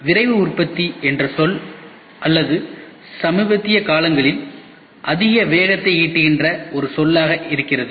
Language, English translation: Tamil, So, Rapid Manufacturing is a word or is a coined word which is gaining lot of momentum in the recent times